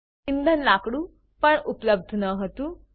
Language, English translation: Gujarati, Fuel wood was also unavailable